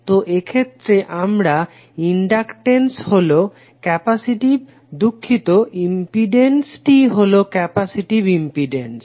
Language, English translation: Bengali, So in that case your inductance would be capacitive sorry the impedance would be capacitive impedance